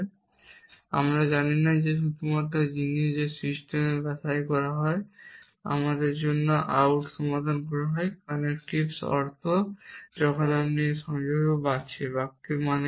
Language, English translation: Bengali, And we do not know the only thing that is sort of this system is solving out for us is the meaning of the connectives when you have this connectives what do the sentences mean